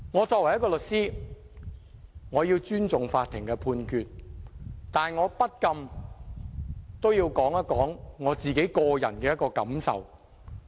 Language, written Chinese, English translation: Cantonese, 作為一名律師，我要尊重法院的判決，但我不禁要說一說我個人的感受。, As a lawyer myself I must respect the Judgement of the Court but I have to talk about my personal feelings